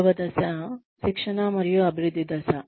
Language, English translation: Telugu, The second phase would be, training and development phase